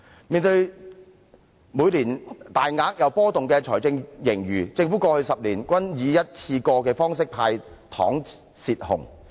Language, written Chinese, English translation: Cantonese, 面對每年既大額又波動的財政盈餘，政府過去10年均以一次過的方式"派糖"泄洪。, Facing the enormous and fluctuating fiscal reserves every year the Government has handed out candies under a one - off approach to drain the floods over the past 10 years